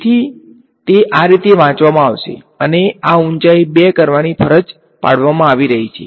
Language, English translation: Gujarati, So, it is going to be read like this and this height is being forced to be 2